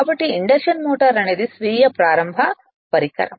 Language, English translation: Telugu, The induction motor is therefore, a self starting device right